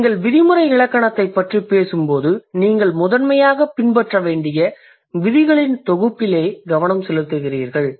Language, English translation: Tamil, So, when you, when you talk about the prescriptive grammar, you grammar, you are primarily focusing on a set of rules that you have to follow